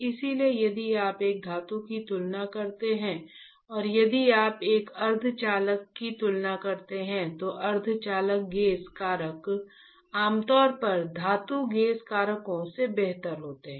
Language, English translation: Hindi, So, if you compare a metal and if you compare a semiconductor, the semiconductor gauge factors are generally better than the metal gauge factors right